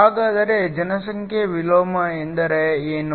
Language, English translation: Kannada, So, what population inversion means